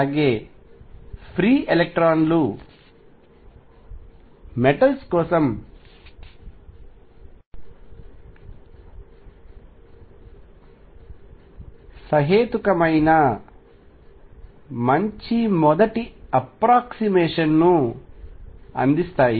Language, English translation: Telugu, So, free electrons provide a reasonably good first approximation for metals